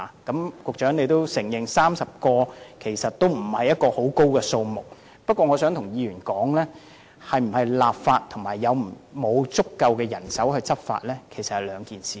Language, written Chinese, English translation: Cantonese, 局長也承認30人不算多，但我想告訴議員，是否立法與是否有足夠人手執法事實上是兩回事。, The Secretary has also admitted that the manpower of 30 people is not strong but I would like to tell Members whether legislation should be enacted and whether there is sufficient manpower to enforce the law are two separate issues